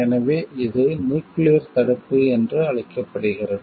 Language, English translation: Tamil, So, that is called nuclear deterrence